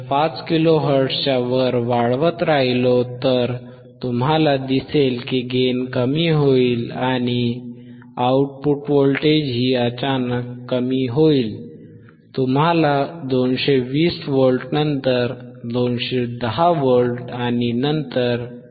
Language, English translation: Marathi, 5 kilo hertz, you will see the gain will decrease and the output voltage will even decrease suddenly, you see 220 and 210, 200